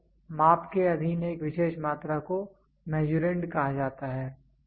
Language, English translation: Hindi, So, a particular quantity subjected to measurement is called as Measurand